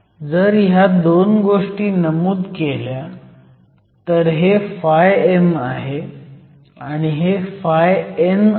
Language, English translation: Marathi, If you mark those 2 values, this is phi m and this is phi n